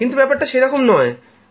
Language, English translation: Bengali, It is not like that